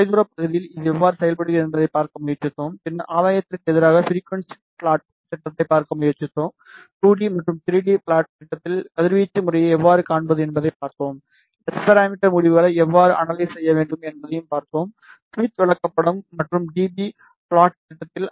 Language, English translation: Tamil, We tried to see how does it behave in far field region, then we tried to see the gain versus frequency plot, we also saw how to see the radiation pattern in 2D and 3D plot, we also saw how we should analyze S parameter results in Smith chart and in dB plot